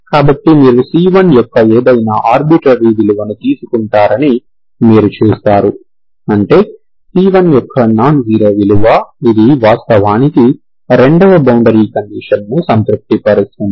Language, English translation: Telugu, So you see that, you take any arbitrary value of c1, so that means nonzero value of c1, it is actually satisfying the 2nd boundary condition which is satisfied, okay